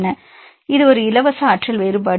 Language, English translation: Tamil, It is a free energy difference between